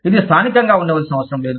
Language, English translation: Telugu, It does not have to be local